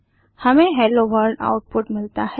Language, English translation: Hindi, We get the output as Hello World